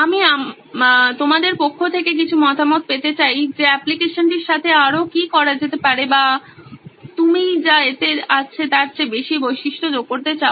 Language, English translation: Bengali, I would like to get some feedbacks from your side what more can be done with the application or any feature you want it to add more than what it has